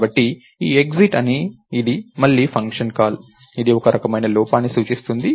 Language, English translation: Telugu, So, this exit of one is again a function call, which indicates some kind of an error